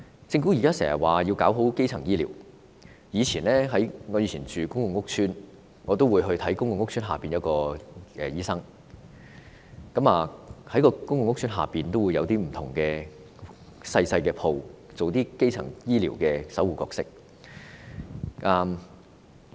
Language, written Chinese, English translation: Cantonese, 政府經常說要做好基層醫療，我以前住公共屋邨時會到屋邨診所求診，屋邨有些小商鋪會租予診所，擔當基層醫療守護者的角色。, The Government often stresses the need to provide primary health care services properly . I used to live in a PRH estate and I would seek medical consultation at a clinic in the estate where some small shops were rented to clinics for them to play a gate - keeping role in primary care